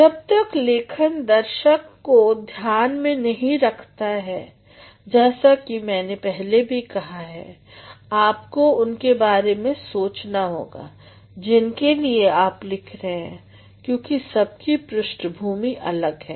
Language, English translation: Hindi, Unless and until the writing is audience centered as I have already said, you have to think about for whom you are writing because everyone's backgrounds will be different